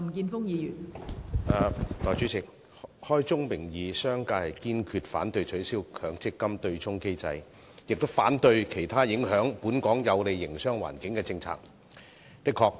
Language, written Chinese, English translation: Cantonese, 代理主席，開宗明義，商界堅決反對取消強制性公積金對沖機制，亦反對其他影響本港有利營商環境的政策。, Deputy President I would like to state at the outset that the business sector resolutely opposes abolishing the offsetting mechanism and other policies that affect Hong Kongs favourable business environment